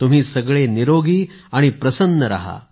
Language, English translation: Marathi, May all of you be healthy and happy